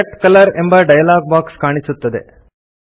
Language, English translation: Kannada, The Select Color dialogue box is displayed